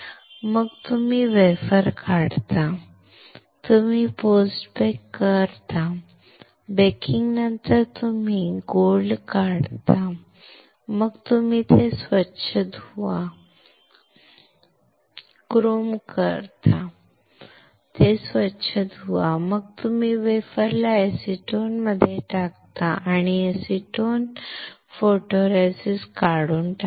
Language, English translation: Marathi, Then you take out the wafer, you do the post bake, after post baking you remove gold then you rinse it, etch the chrome, rinse it, then you put the wafer in the acetone and acetone will strip out the photoresist